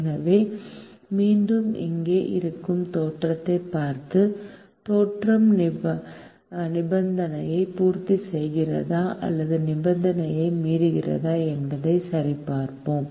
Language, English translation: Tamil, so once again, we look at the origin which is here and check whether the origin satisfies the condition or violates the condition